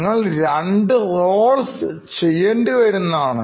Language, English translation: Malayalam, So, you will have to do two roles